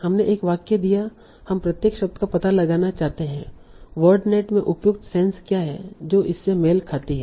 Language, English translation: Hindi, So given a sentence, we want to find out each word what is the appropriate sense in word net it corresponds to